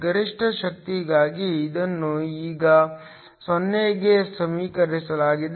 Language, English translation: Kannada, This is now equated to 0 for maximum power